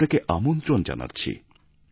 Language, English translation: Bengali, I invite you